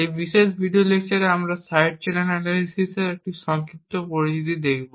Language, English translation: Bengali, In this particular video lecture we will be looking at a brief introduction to Side Channel Analysis